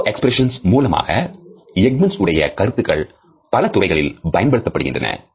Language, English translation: Tamil, Through a micro expression, Ekmans idea has potential applications in various fields